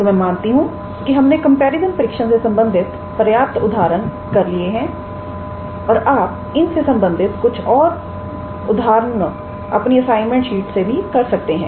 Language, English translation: Hindi, So, I believe we have covered sufficient examples on comparison tests and you will be able to work out few more examples in your [shine/assignment] assignment